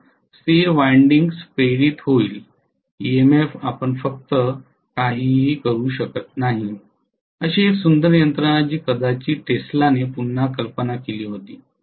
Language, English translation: Marathi, So stationary windings will get induced EMF you just cannot do anything, such a beautiful mechanism which was probably conceived again by Tesla